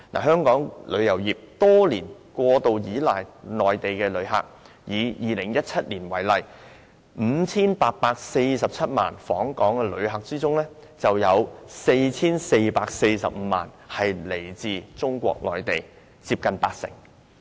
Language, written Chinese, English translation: Cantonese, 香港旅遊業多年來過度倚賴內地旅客，以2017年為例，在 5,847 萬名訪港旅客中，便有 4,445 萬人來自中國內地，佔總數接近八成。, Over the years Hong Kongs tourism industry has excessively relied on Mainland visitors . For example in 2017 among the 58.47 million visitors to Hong Kong 44.45 million came from Mainland China accounting for nearly 80 % of the total number